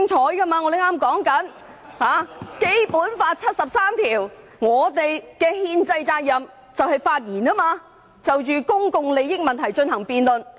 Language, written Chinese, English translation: Cantonese, 我剛剛說到根據《基本法》第七十三條，我們有憲制責任發言，就公共利益問題進行辯論。, As I have said just now under Article 73 of the Basic Law we do have a constitutional duty to speak and debate any issue concerning public interests